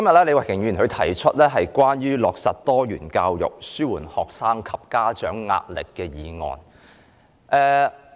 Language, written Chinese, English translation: Cantonese, 李慧琼議員今天動議"落實多元教育紓緩學生及家長壓力"的議案。, Ms Starry LEE moved the motion on Implementing diversified education to alleviate the pressure on students and parents today